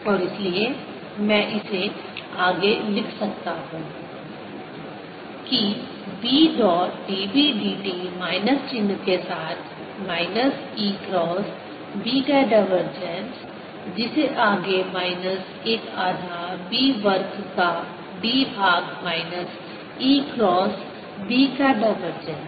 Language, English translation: Hindi, and therefore i can further write this as b dotted with d b d t with a minus sign minus divergence of e cross b, which can be further written as minus one half d by d t of b square, minus divergence of e cross b